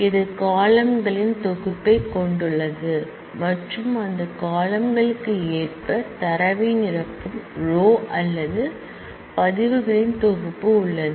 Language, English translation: Tamil, It has a set of columns and it has a set of rows or records that fill up data according to those columns